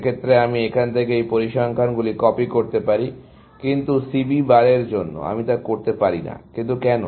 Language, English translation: Bengali, In that case, I can just copy these figures from here, but for C B bar, I cannot do that; why